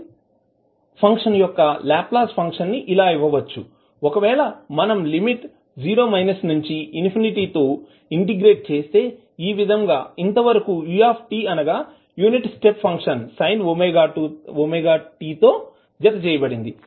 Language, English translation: Telugu, The Laplace function of the sin function can be given as, if you integrate between 0 minus to infinity, so since it is a ut that is a unit step function attached with sin omega t